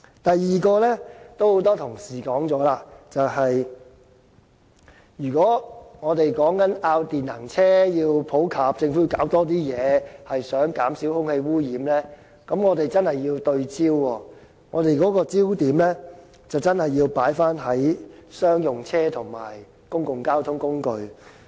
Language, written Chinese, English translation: Cantonese, 第二，有很多同事已說過，如果我們要電能車普及，政府便要做多些工作，而想減少空氣污染，我們便真的要對焦，而且焦點要放在商用車及公共交通工具上。, Second as many colleagues have also mentioned if we wish to debate on the popularization of EVs to ask the Government to work more on the reduction of air pollution we have to be in focus . The focus should be put on the use of EVs by commercial vehicles and public transport operators